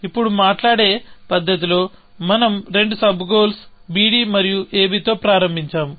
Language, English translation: Telugu, Now, observe that in a manner of speaking, we started off with two sub goals; on b d and on a b